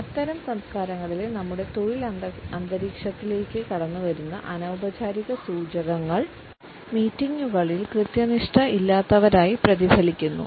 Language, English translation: Malayalam, The nonverbal cues which seep into our work environment in such cultures are reflected in being non punctual during the meetings